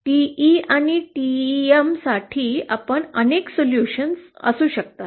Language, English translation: Marathi, For TE and TM, we can have multiple solutions